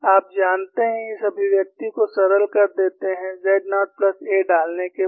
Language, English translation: Hindi, You know, this expression is simplified after substituting z naught plus a